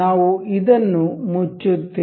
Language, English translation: Kannada, We will close this